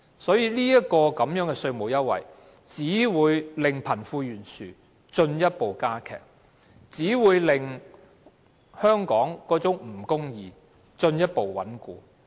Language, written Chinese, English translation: Cantonese, 這個稅務優惠只會令貧富懸殊進一步加劇，令香港的不公義情況進一步穩固。, The tax concession will only further aggravate the disparity between the rich and the poor further strengthening the unfair situation in Hong Kong